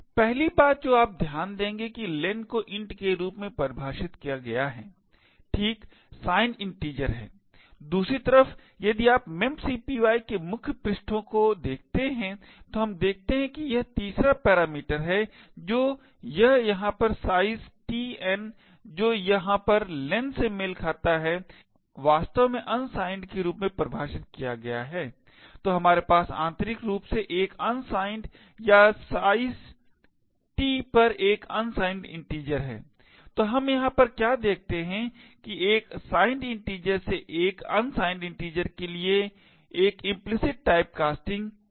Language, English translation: Hindi, The 1st thing you would note is that len is defined as int, right it is a signed integer on the other hand if you look at the man pages of memcpy what we see is that the 3rd parameter that this over here size t n which corresponds to the len over here is actually defined as unsigned, so we have internally a unsigned or size t to be an unsigned integer, so what we see over here is that that an implicit type casting from a signed integer to an unsigned integer